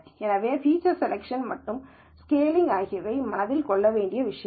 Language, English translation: Tamil, So, feature selection and scaling are things to keep in mind